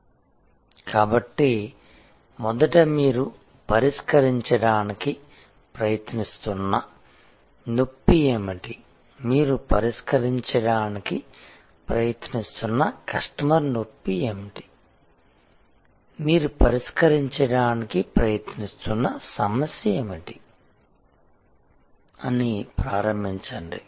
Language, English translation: Telugu, So, first start with what is the pain that you are trying to address, what is the customer pain that you are trying to address, what is the problem that you are trying to solve